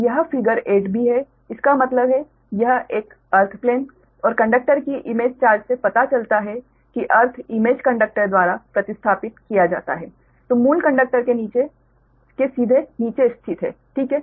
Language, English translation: Hindi, figure eight b, that means this one earth plane and image charge of one conductor shows that the earth is replaced by image conductor lies directly below the original conductor, right